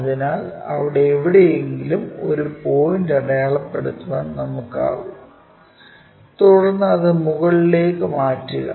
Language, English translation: Malayalam, So, that we will be in a position to mark a point somewhere there, then transfer it all the way up